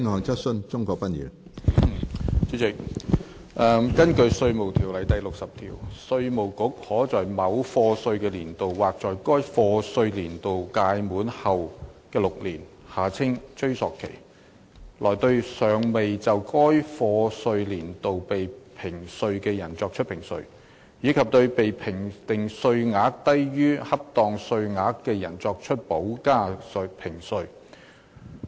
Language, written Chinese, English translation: Cantonese, 主席，根據《稅務條例》第60條，稅務局可在某課稅年度或在該課稅年度屆滿後6年內，對尚未就該課稅年度被評稅的人作出評稅，以及對被評定稅額低於恰當稅額的人作出補加評稅。, President under section 60 of the Inland Revenue Ordinance IRO the Inland Revenue Department IRD may within a year of assessment or within six years after the expiration thereof assess any person who has not been assessed for that year of assessment and make additional assessment of any person who has been assessed at less than the proper amount